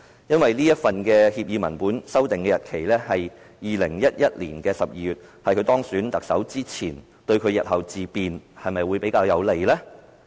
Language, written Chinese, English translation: Cantonese, 因為這份協議文本的簽訂日期是2011年12月，是在他當選特首之前，對他日後自辯會否比較有利？, As this agreement was signed in December 2011 before his election as the Chief Executive will this be more favourable to his self - defence in the future?